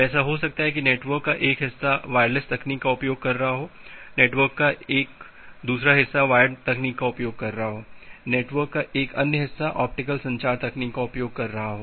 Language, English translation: Hindi, So, it may happen that well one part of the network is using wireless technology, one part of the network is using wired technology, another part of the network is using say like that optical communication technology